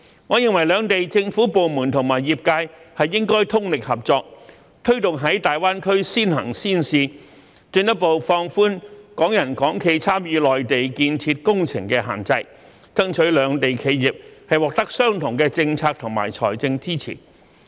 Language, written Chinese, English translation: Cantonese, 我認為兩地政府部門和業界應通力合作，推動在大灣區先行先試，進一步放寬港人港企參與內地建設工程的限制，爭取兩地企業獲得相同的政策和財政支持。, In my opinion government departments and industries in the two places should collaborate with concerted efforts for promoting early and pilot implementation in GBA further relaxing the restrictions on Hong Kong people and enterprises in participating in Mainland construction projects and striving for the same policy and financial support for enterprises in the two places